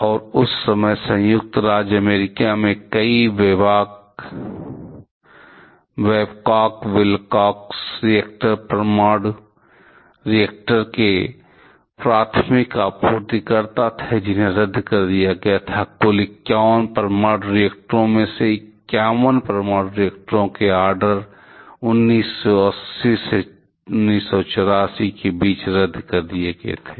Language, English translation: Hindi, And many Babcock Wilcox reactors is the primary supplier of nuclear reactor that time in United States; that were cancelled, in total 51 nuclear reactors order of 51 orders for nuclear reactors are canceled between 1980 to 84